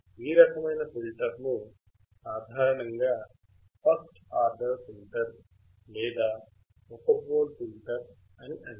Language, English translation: Telugu, This type of filter is generally known as first order filter or one pole filter